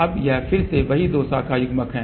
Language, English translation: Hindi, Now, this is the again sametwo branch coupler